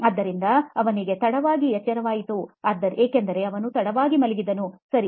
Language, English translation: Kannada, So they woke up late because they slept late, okay